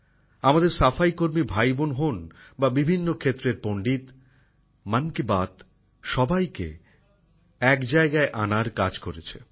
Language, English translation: Bengali, Be it sanitation personnel brothers and sisters or veterans from myriad sectors, 'Mann Ki Baat' has striven to bring everyone together